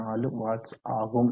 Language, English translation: Tamil, 4 watts so around 14